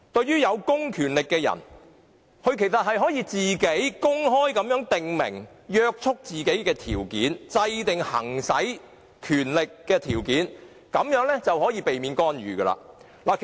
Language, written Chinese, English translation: Cantonese, 有公權力的人可公開訂明約束自己的條件、制訂行使權力的條件，這樣便可避免干預。, To avoid interference those who have public power can openly lay down the conditions for exercising self - restraint